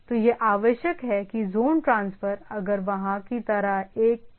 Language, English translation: Hindi, So, it is required that zone transfer if there is a need like that